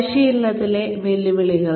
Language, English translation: Malayalam, Challenges in training